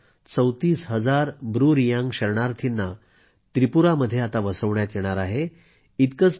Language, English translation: Marathi, Around 34000 Bru refugees will be rehabilitated in Tripura